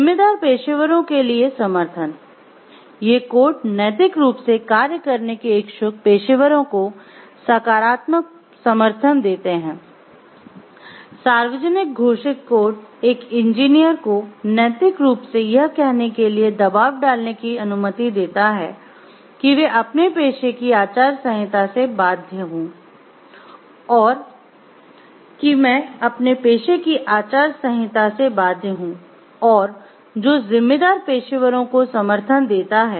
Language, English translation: Hindi, Support for responsible professionals; codes give positive support to professionals seeking to act ethically, a public proclaimed code allows an engineer and a pressure to act unethically to say I am bound by the code of ethics of my profession